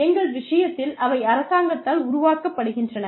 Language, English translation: Tamil, In our case, they are made by the government